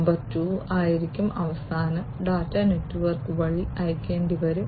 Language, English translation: Malayalam, Number 2 would be the finally, the data will have to be sent through the network